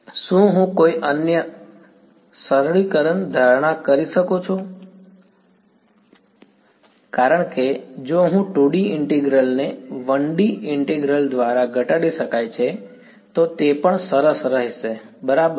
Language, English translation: Gujarati, So, totally cleared so far; can I make some other simplifying assumption to because if I can reduce a 2D integral to a 1D integral, it would be even nice a right hm